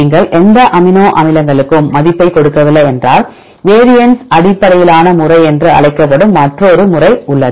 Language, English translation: Tamil, If you do not give any weight for any of the amino acids and there is another method that is called variance based method